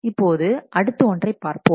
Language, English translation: Tamil, Now, let us look into the next